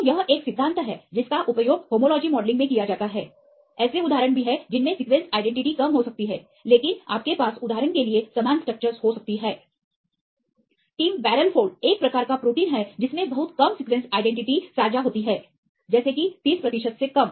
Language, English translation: Hindi, So, this is a principle used in homology modelling; there are also instances in which the sequence identity may be less, but you they can have similar structures for example, the tim barrel fold, these proteins they share very less sequence identity like less than 30 percent